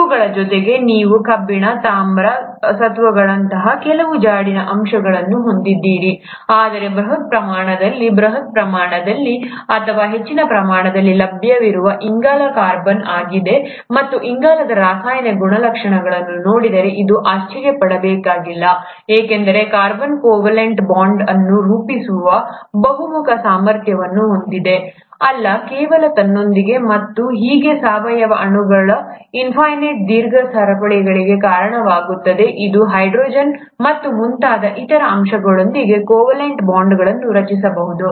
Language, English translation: Kannada, In addition to these, you do have some trace elements like iron, copper, zinc; but in terms of bulk quantity, the bulkiest, or the one which is available in most quantity is the carbon, and that should not be a surprise looking at the chemical properties of carbon, because carbon has a versatile ability to form covalent bonds, not just with itself, and thus lead to a infinite long chains of organic molecules, it can also form covalent bonds with other elements, like hydrogen and so on